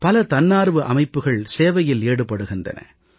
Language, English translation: Tamil, Many volunteer organizations are engaged in this kind of work